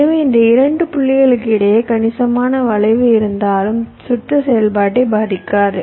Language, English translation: Tamil, so even if there is a considerable skew between these two points that will not affect your circuit operation